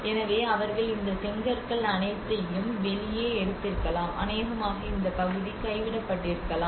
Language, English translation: Tamil, So they might have taken all these bricks and taken out, and probably this area might have got abandoned